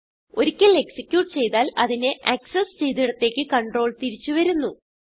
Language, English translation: Malayalam, Once executed, the control will be returned back from where it was accessed